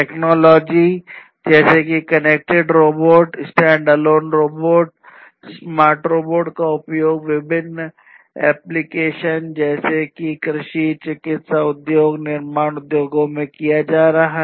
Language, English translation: Hindi, Technologies such as connected robots, standalone robots, smart robots being used in different application domains such as agriculture, medical industries, manufacturing industries, and so on